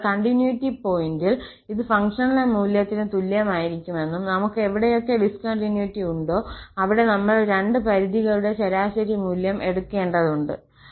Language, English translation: Malayalam, So, at the point of continuity, that this will be exactly equal to the functional value and wherever we have discontinuity, we have to take the average value of the two limits